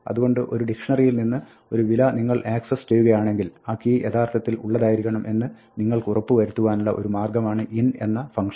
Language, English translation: Malayalam, So, this is one way to make sure that when you access a value from a dictionary, the key actually exists, you can use the in function